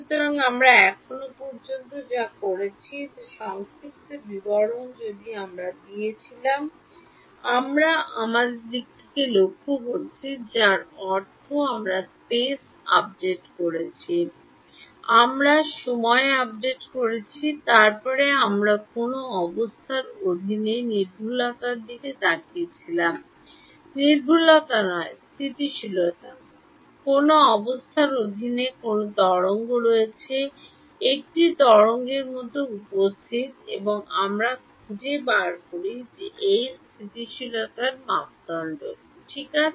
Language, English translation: Bengali, So, what we have done if you summarize what we have done so far, we have looked at the, I mean, we did the space update, we did the time update, then we looked at accuracy under what condition, not accuracy but stability, under what conditions there is a wave, appear like a wave and we find out what is called this courant stability criterion ok